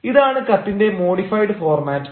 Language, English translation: Malayalam, so this is called modified format of the letter